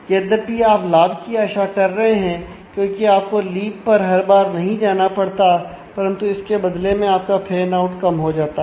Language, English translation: Hindi, So, though you are expecting to get a benefit, because you are not having to go to the leaf every time, but you pay off because your fan out gets less